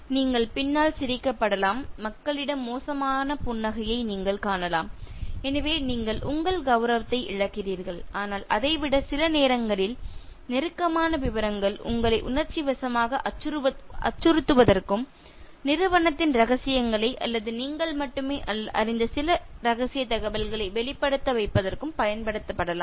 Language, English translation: Tamil, And you can be laughed behind you, you can see that sarcastic smile from people so you lose your dignity but more than that sometimes intimate details can be used to emotionally blackmail you and make you reveal company secrets or some confidential information that is known only to you so why risk this kind of going down in terms of your dignity